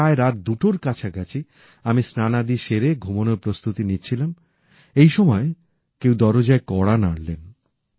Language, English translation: Bengali, It was around 2, when I, after having showered and freshened up was preparing to sleep, when I heard a knock on the door